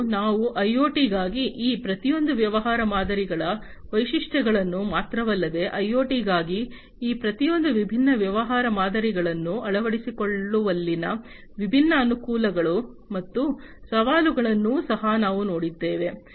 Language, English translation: Kannada, And we have also gone through the different not only the features of each of these business models for IoT, but we have also gone through the different advantages and the challenges in the adoption of each of these different business models for IoT